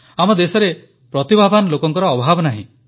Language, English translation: Odia, Our country is full of talented people